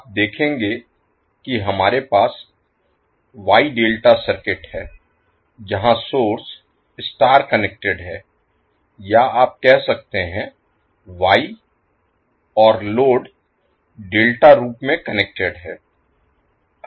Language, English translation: Hindi, So you will see there we have wye delta circuits where the source is connected in star or you can say wye and load is connected in delta form